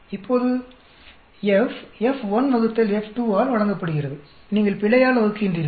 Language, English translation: Tamil, Now, F is given by F1 by F2 you are dividing by error